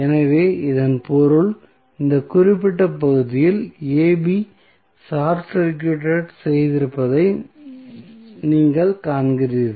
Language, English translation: Tamil, So, that means, if you see this particular segment AB short circuited